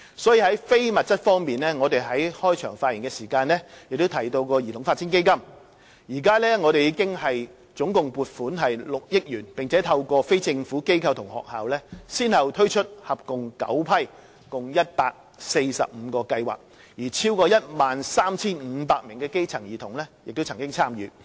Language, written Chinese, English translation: Cantonese, 所以，在非物質方面，我在開場發言提到的兒童發展基金，至今共獲撥款6億元，並透過非政府機構及學校先後推出合共9批共145個計劃，超過 13,500 名基層兒童曾經參與。, In this connection in the non - material aspect the Child Development Fund that I mentioned in my opening remarks has so far received injections totalling 600 million . Through non - governmental organizations and schools a total of 145 projects in nine batches have been launched with participation from over 13 500 grass - roots children